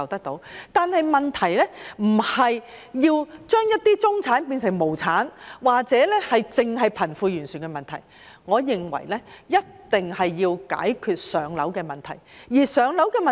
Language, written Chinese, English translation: Cantonese, 但是，問題不是要把中產變成無產，或只是解決貧富懸殊的問題，我認為一定要解決"上樓"問題。, However the issue is not to turn the middle class into the proletariat or simply to resolve the problem of disparity between the rich and the poor . In my view we must resolve the problem of insufficient supply of public housing